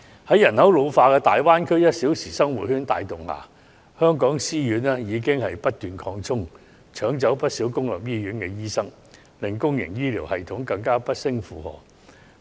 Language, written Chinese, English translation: Cantonese, 在人口老化及大灣區 "1 小時生活圈"帶動下，香港私家醫院已不斷擴充，搶走了不少公立醫院醫生，令公營醫療系統更加不勝負荷。, The ageing population and the one - hour living circle of the Greater Bay Area have led to continuous expansion of Hong Kongs private hospitals . They have snatched doctors from their public counterparts which has further overstretched the public health care system